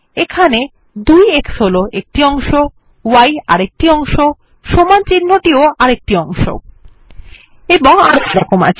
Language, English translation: Bengali, Here, 2x is a part, y is a part, equal to character is a part and so on